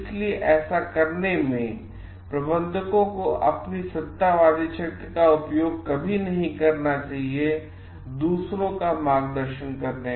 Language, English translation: Hindi, So, but in doing so, managers should like never use their authoritarian power to guide others